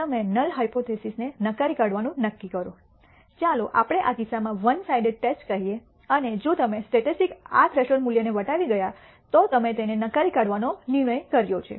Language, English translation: Gujarati, You decide to null reject the null hypothesis let us say in this case a one sided test and you have decided to reject it, if the statistic exceeds this threshold value